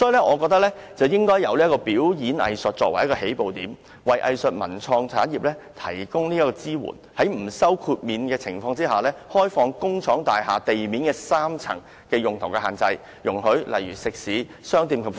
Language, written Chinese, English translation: Cantonese, 我認為政府應以表演藝術作為起步點，為藝術文創產業提供支援，在不收豁免費的情況下，放寬工廠大廈地面3層的用途限制，容許例如食肆、商店及服務業......, In my view the Government should use performing arts as a starting point for giving support to the arts cultural and creative industries . It should without charging any waiver fee relax the restrictions on the use of the first three floors of industrial buildings to allow for example eateries shops and services